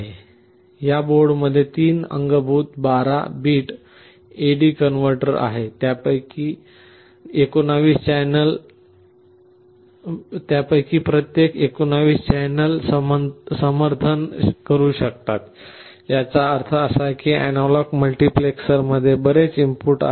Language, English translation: Marathi, In this board there are 3 built in 12 bit A/D converters and each of them can support up to 19 channels; that means, the analog multiplexer has so many inputs